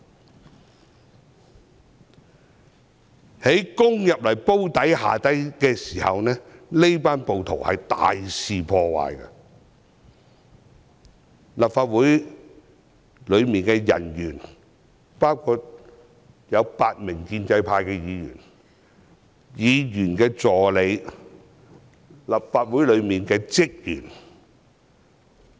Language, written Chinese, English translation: Cantonese, 這群暴徒攻入"煲底"後更大肆破壞，當時，立法會內的人員包括8名建制派議員，還有議員助理和立法會職員。, The rioters who entered the Drum area started to cause serious damage . At the time people inside the Legislative Council Complex included eight pro - establishment Members some assistants of Members and staff members of the Legislative Council Secretariat